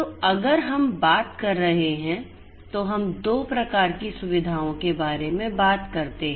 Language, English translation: Hindi, So, in a you know if we are talking about let us let us talk about 2 types of facilities